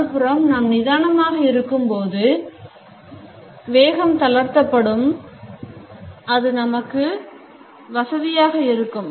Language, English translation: Tamil, On the other hand, when we are relaxed our speed also becomes comfortable